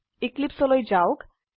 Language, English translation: Assamese, Switch to Eclipse